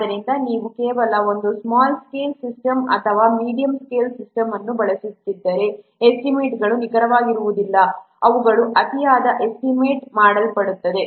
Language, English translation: Kannada, So, if you are using just a small scale system or a medium scale system, then the estimates will not be accurate, they will be overestimated